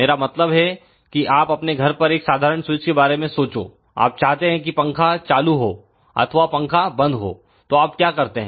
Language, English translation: Hindi, I mean you would just think about a simple switch at your home you want to let us say turn on fan or turn off the fan